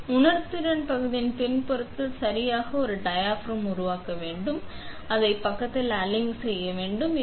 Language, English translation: Tamil, So, I want to create a diaphragm exactly on the backside of this sensing area; that means, it I should align it on this side